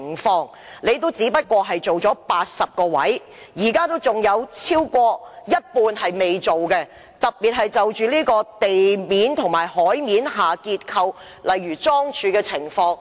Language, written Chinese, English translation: Cantonese, 當局只在80個位置進行測試，仍有超過一半未進行測試，特別是地面及海面的結構，例如樁柱。, Moreover tests have only been conducted at 80 locations and more than half of the locations have not been tested especially the structure of say piles on land and at sea